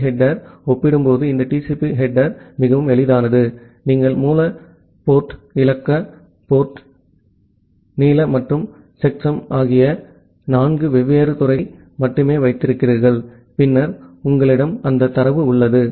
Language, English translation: Tamil, So, compared to the TCP header this UDP header is fairly simple you only have four different fields the source port, the destination port, the length and the checksum that is all and then you have that data